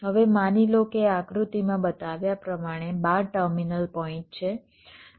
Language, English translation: Gujarati, now assume that there are twelve terminal points, as shown in this diagram